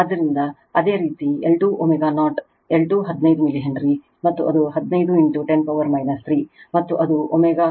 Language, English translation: Kannada, So, similarly L 2 omega 0, L 2 15 milli Henry, and your that is 15 into 10 to the power minus 3, and it will be omega 2